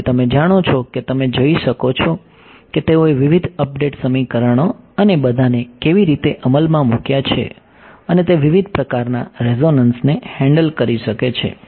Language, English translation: Gujarati, So, you know you can go and see how they have implemented various update equations and all and it can handle of quite a variety of different resonances ok